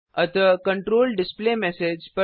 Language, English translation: Hindi, So the control goes to the displayMessage